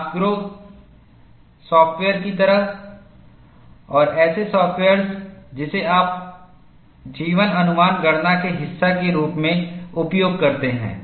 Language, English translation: Hindi, People have embedded that, and the softwares like Nasgro and such softwares, use this as part of their life estimation calculation